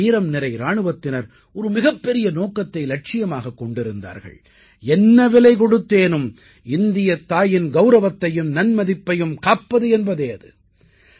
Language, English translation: Tamil, Our brave soldiers had just one mission and one goal To protect at all costs, the glory and honour of Mother India